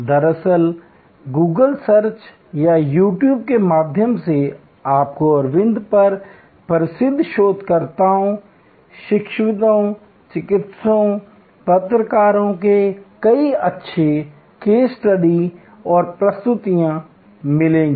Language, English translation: Hindi, Actually through Google search or on You Tube, you will find many quite good case studies and presentations from famous researchers, academicians, practitioners, journalists on Aravind